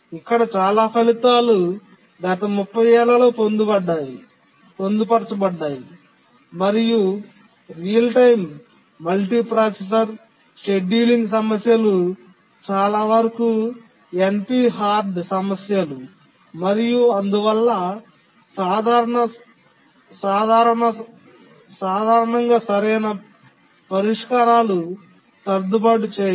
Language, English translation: Telugu, Most of the results here have been obtained in the last 30 years and most of the real time multiprocessor scheduling problems are NP hard problems and therefore simple optimal solutions don't exist